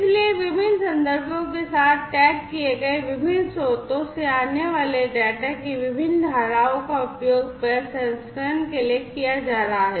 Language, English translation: Hindi, So, different streams of data coming from different sources tagged with different contexts are going to be used for processing